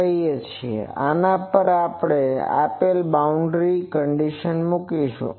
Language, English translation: Gujarati, Now, on this we will put the boundary condition